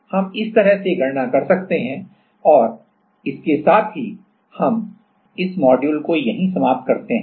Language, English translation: Hindi, So, this is how we can calculate and with that we will close this module